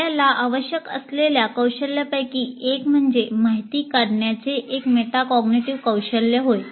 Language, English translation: Marathi, So one of the skills that you require, it's a metacognitive skill of distilling information